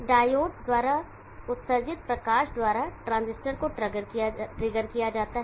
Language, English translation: Hindi, The transistor is trigged by the light emitted by the diode